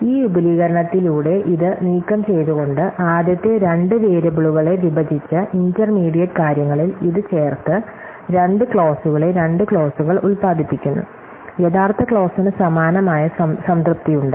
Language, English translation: Malayalam, So, the claim is that by this expansion by removing by this one, splitting away the first two variables and adding this in intermediate thing linking the two clauses at produce two clauses, which have same satisfiability as the original clause